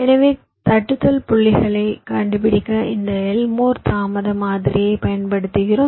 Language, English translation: Tamil, so lets see this elmore delay model